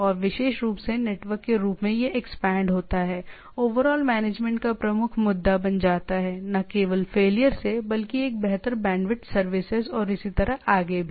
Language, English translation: Hindi, And specially the network as it expands, the overall management becomes a major issue, not only from the failure, but to give a better bandwidth service and so on so forth